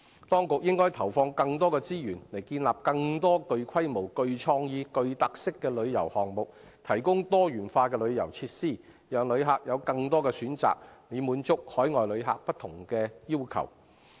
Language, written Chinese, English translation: Cantonese, 當局應該投放更多資源，以建立更多具規模、具創意、具特色的旅遊項目，從而提供多元化的旅遊設施，讓旅客有更多選擇，以滿足海外旅客的不同要求。, The authorities should put in more resources for developing tourism projects of scale creativity and characteristics thereby providing a variety of tourism facilities with more choices for visitors so as to meet various demands of overseas visitors